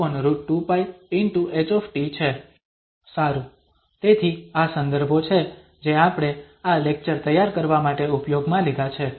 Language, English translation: Gujarati, Well, so these are the references we have used for preparing this lecture